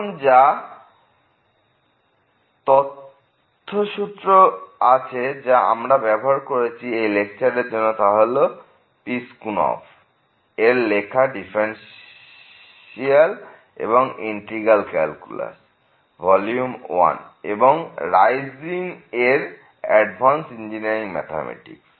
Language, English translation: Bengali, Now, there are the references which we are used to prepare this lecture, the book by the Piskunov, Differential and Integral calculus, Volume 1 and also the Kreyszig Advanced Engineering Mathematics